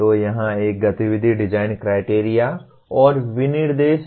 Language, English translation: Hindi, So here the one activity is design criteria and specifications